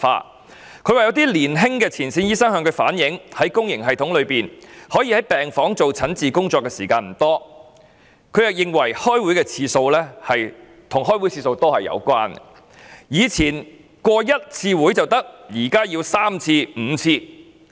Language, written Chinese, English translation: Cantonese, 他指出曾有年輕前線醫生向他反映，在公營系統中可在病房執行診治工作的時間不多，他亦認為與開會次數多有關，更表示"以前通過一次會議就可以，現在則要三五次"。, He mentioned a point relayed to him by some young front - line doctors the point that they did not have much time to prescribe treatment in public hospital wards . Thinking that this was due to the number of meetings he went on to say to the effect that it would now take three or five meetings to endorse an item as opposed to one meeting in the past